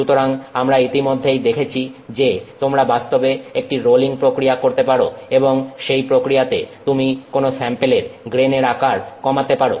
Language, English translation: Bengali, Okay, so we already saw that you can actually do a rolling process and in that process you can reduce the grain size of some sample